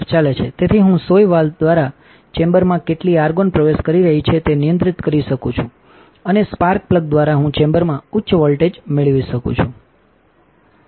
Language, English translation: Gujarati, So, I can control how much argon is getting into the chamber through the needle valve and I can get high voltage into the chamber through the spark plug